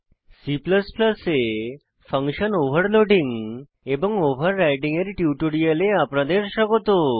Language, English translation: Bengali, Welcome to the spoken tutorial on function Overloading and Overriding in C++